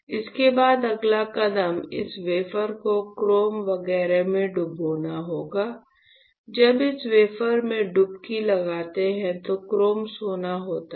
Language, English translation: Hindi, After this the next step would be to dip this wafer in chrome etchant; when you dip this wafer in, there is a chrome gold